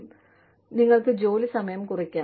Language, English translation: Malayalam, And, you could, maybe, reduce work hours